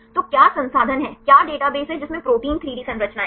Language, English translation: Hindi, So, what is the resource, what is the database which contains protein 3D structures